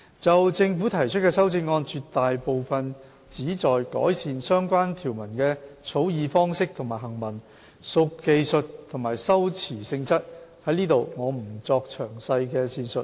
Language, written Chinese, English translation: Cantonese, 就政府提出的修正案，絕大部分旨在改善相關條文的草擬方式和行文，屬技術及修辭性質，我在此不作詳細的闡述。, With regard to the amendments proposed by the Government most of them are technical and textual amendments which seek to improve the drafting and texts of the relevant provisions and I will not go into the details here